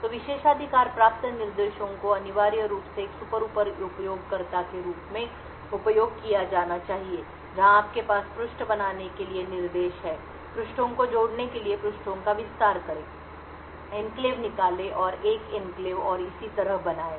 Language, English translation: Hindi, So the privileged instructions essentially should be used as a super user where you have instructions to create pages, add pages extend pages, remove enclave, and create an enclave and so on